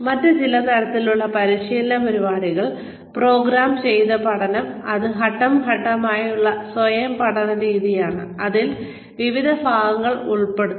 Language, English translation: Malayalam, Some other types of training programs are, programmed learning, which is step by step, self learning method, that consists of the various parts